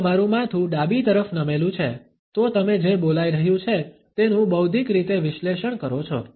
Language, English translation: Gujarati, If your head tilts to the left, you are likely to be intellectually analyzing what is being said